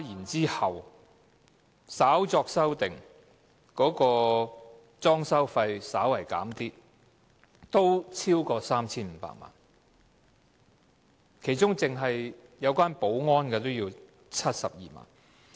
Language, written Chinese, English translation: Cantonese, 之後，稍作修訂，裝修開支稍為減少，但合計仍超過 3,500 萬元，其中單是保安開支便須72萬元。, After that adjustments were made and the expenditure for fitting out was reduced slightly yet the total amount incurred still exceeds 35 million . An amount of 720,000 is incurred for security service alone